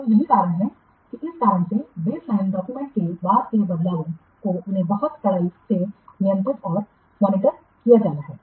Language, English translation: Hindi, So, that's why for this reason the subsequent changes to the baseline documents, they have to be very stringently controlled and monitored